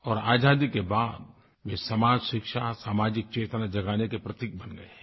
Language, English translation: Hindi, And after Independence, this festival has become a vehicle of raising social and educational awareness